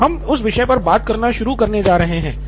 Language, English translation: Hindi, So we are going to start on that topic